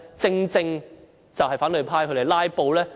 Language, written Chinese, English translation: Cantonese, 正正是因反對派"拉布"。, Precisely because of the opposition camps filibuster